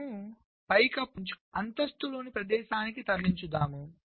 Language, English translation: Telugu, so the idea is as follows: you select the lowest block in the ceiling and move it to a place in the floor